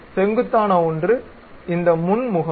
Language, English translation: Tamil, So, one of the normal is this front face